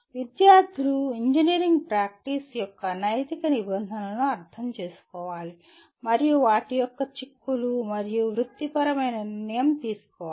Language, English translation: Telugu, Students should understand the ethical norms of engineering practice and their implication and professional decision making